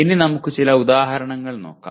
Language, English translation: Malayalam, Now let us look at some examples